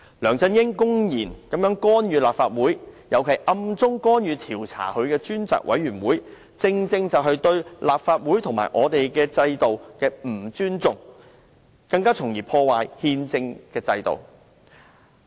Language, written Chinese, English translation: Cantonese, 梁振英公然干預立法會，尤其是暗中干預正對他進行調查的專責委員會，正是對立法會及我們的制度的不尊重，甚至破壞了憲政的制度。, Through LEUNG Chun - yings blatant interference with the Legislative Council particularly his covert actions to interfere with the Select Committee which is tasked to investigate him he is being disrespectful to the Legislative Council as well as our system or is even undermining the entire constitutional order